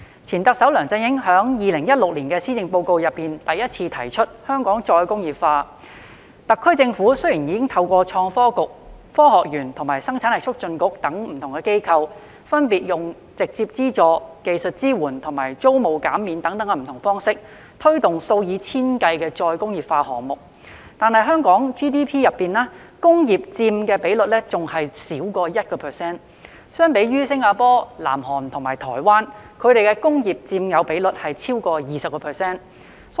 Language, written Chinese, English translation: Cantonese, 前特首梁振英在2016年施政報告中首次提出香港"再工業化"，特區政府雖已透過創新及科技局、香港科學園及生產力促進局等機構，分別以直接資助、技術支援及租務減免等方式，推動數以千計的再工業化項目，但在香港 GDP 中，工業佔的比率仍少於 1%， 比較之下，新加坡、南韓及台灣的工業佔有比率已超過 20%。, Former Chief Executive LEUNG Chun - ying first proposed re - industrialization in the 2016 Policy Address . The SAR Government has promoted thousands of re - industrialization projects through the Innovation and Technology Bureau ITB the Hong Kong Science Park and the Hong Kong Productivity Council by way of direct funding technical support and rent remission respectively the industrial sector however still accounts for less than 1 % of Hong Kongs Gross Domestic Product GDP . In comparison the contribution of the industrial sectors in Singapore South Korea and Taiwan has exceeded 20 %